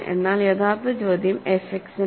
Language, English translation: Malayalam, But original question is for f X